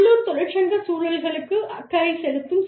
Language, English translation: Tamil, Issues of concern, to local union environments